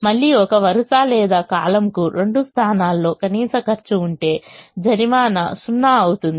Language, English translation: Telugu, again, if a row or a column has the minimum cost coming in two positions, the penalty is zero